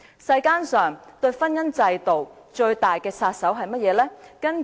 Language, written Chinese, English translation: Cantonese, 世間上婚姻制度最大的殺手是甚麼呢？, What is the biggest marriage killer in the world?